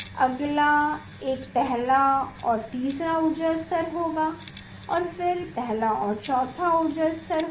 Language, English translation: Hindi, next one will be first and third energy level, then next one will be first and fourth energy levels